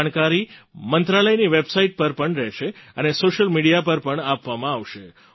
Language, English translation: Gujarati, This information will also be available on the website of the ministry, and will be circulated through social media